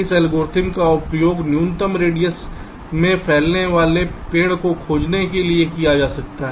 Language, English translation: Hindi, this algorithm can be used to find the minimum radius spanning tree